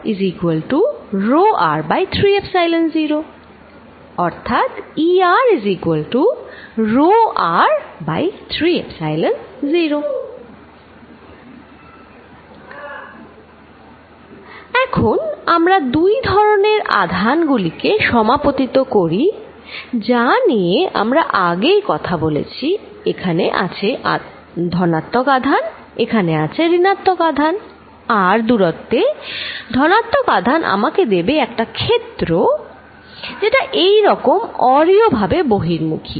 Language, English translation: Bengali, Now, let us superimpose these two charges that we were talking about, here is the positive charge, here is the negative charge, positive charge at this distance r gives me a field which is going like this radially out